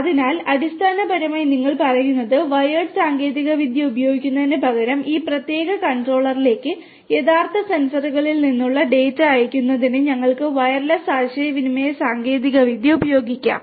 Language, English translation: Malayalam, So, basically what you are saying is that instead of using the wired technology, we could use wireless communication technology in order to send the data from the real sensors to this particular controller